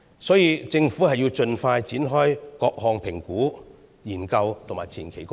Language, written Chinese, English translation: Cantonese, 所以，政府應盡快展開各項評估、研究和前期工作。, Therefore the Government should proceed to conduct a range of assessment research and preliminary work as soon as possible